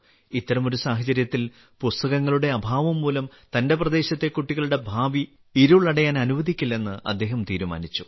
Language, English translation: Malayalam, In such a situation, he decided that, he would not let the future of the children of his region be dark, due to lack of books